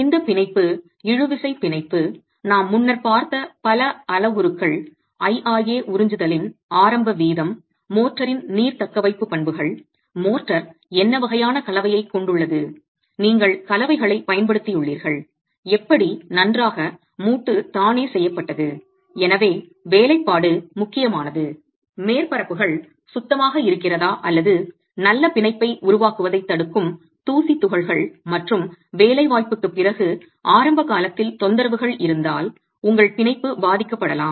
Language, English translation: Tamil, This bond, the tensile bond, depends on a number of parameters that we have looked at earlier, the initial rate of absorption, IRA, the water retention properties of the motor, what sort of composition does the motor have, have you used admixtures, how well is the joint itself made, workmanship therefore matters, whether the surfaces are clean, are the dust particles that inhibit the formation of good bond, and after placement, if there are disturbances in the initial period after placement, your bond can get affected